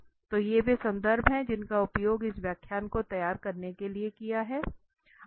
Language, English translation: Hindi, So, these are the references used for preparing this lecture